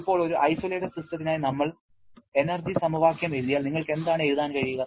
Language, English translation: Malayalam, Now, if we write the energy equation for an isolated system what you can write